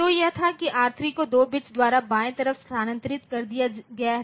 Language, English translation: Hindi, So, it was that R3 was left shifted by 2 bits